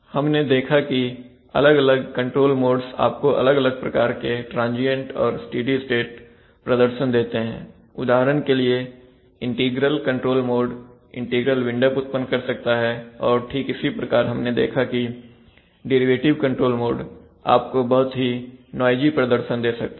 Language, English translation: Hindi, We saw that the various control modes can give you various kinds of transient and steady state performance, for example we have seen that the integral control mode can cause integral wind up, it can cause integral windup's, similarly we have seen that the derivative control mode can give you a lot of noisy performance, if you have sensor noise